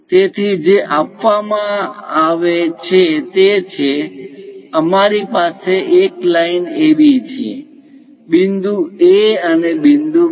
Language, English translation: Gujarati, So, what is given is; we have a line AB; point A and point B